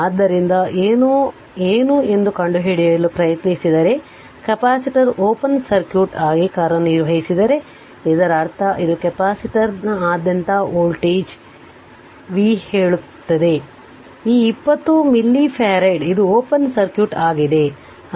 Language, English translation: Kannada, So, if you try to find out that what is the; that if capacitor acts as open circuit, that means this is the voltage v say across the capacitor this 20 milli farad it is open circuit